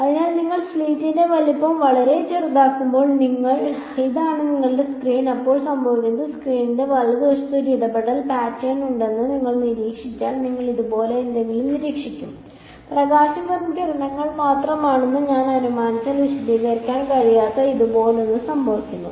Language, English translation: Malayalam, So, when you make the size of the slit much smaller right, so this is your screen, then what happens is that you observe that there is a interference pattern on the screen right you will observe something like; something like this is happening which cannot be explained if I assume light to be just rays right